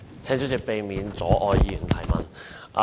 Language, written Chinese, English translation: Cantonese, 請主席避免阻礙議員提問。, Will the President please do not impede Members from asking questions